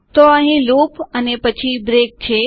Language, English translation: Gujarati, This is a loop here and then a break